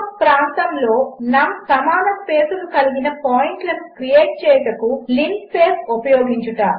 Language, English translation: Telugu, To Use the linspace function to create num equally spaced points in a region